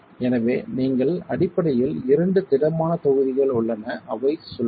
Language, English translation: Tamil, So, you basically have two rigid blocks that are rotating